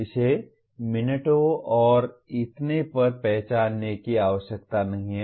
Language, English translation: Hindi, It need not be identified to the extent of minutes and so on